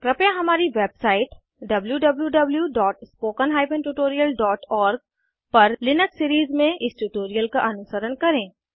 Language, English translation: Hindi, Please follow this tutorial in the Linux series on our website www.spoken tutorial.org